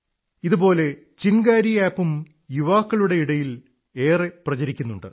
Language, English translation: Malayalam, Similarly,Chingari App too is getting popular among the youth